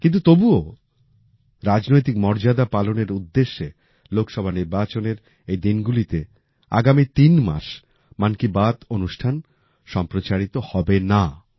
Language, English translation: Bengali, But still, adhering to political decorum, 'Mann Ki Baat' will not be broadcast for the next three months in these days of Lok Sabha elections